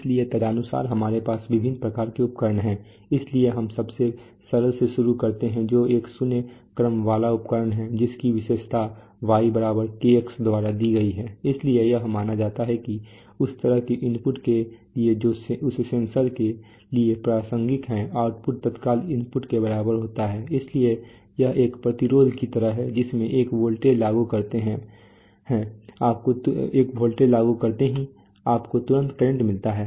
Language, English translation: Hindi, So accordingly we have various kinds of instruments, so we call, we start with the simplest which is a zero order instrument whose characteristic is given by y = Kx, so it is assumed that for the kind of inputs that are relevant to that censored the output is instantaneously equal to the input so it is like a resistance you know you just apply a voltage you immediately get a current